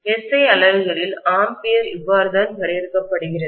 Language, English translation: Tamil, This is how in SI units’ ampere is defined